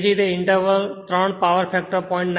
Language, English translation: Gujarati, Similarly, interval three, power factor is 0